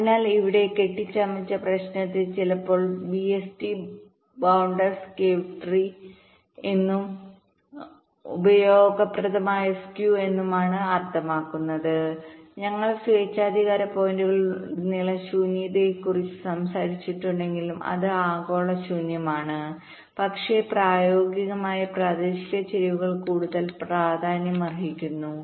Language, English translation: Malayalam, fine, so here the problem with bounded skew is sometimes referred to as bst bounded skew, tree problem, and useful skew means, as i had said, that although we talked about skew across arbitrary points, it is the global skew, but in practice, local skews is more important